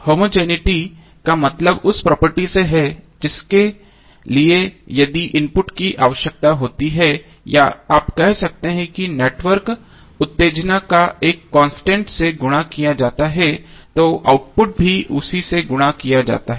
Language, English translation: Hindi, Homogeneity means the property which requires that if the input or you can say that excitation of the network is multiplied by a constant then the output is also multiplied by the same constant